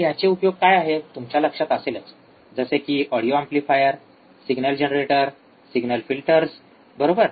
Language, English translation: Marathi, It finds application again if you remember what are the application, audio amplifier signal generator signal filters, right